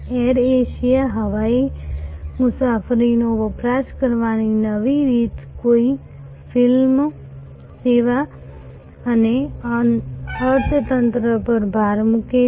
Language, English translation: Gujarati, Air Asia, a new way of consuming air travel with no frills service and emphasis on economy